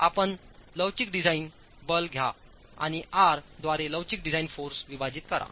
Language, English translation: Marathi, So you take the elastic design force and divide the elastic design force by R